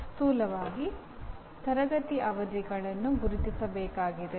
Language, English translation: Kannada, Just roughly the classroom sessions need to be identified